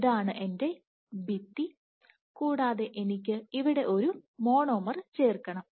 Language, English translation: Malayalam, So, this is my wall here and I am to add a monomer here